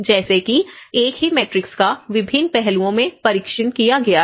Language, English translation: Hindi, So, like that the same matrix has been tested in different aspects